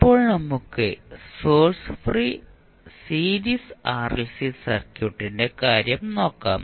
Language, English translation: Malayalam, Now, let us first take the case of source free series RLC circuit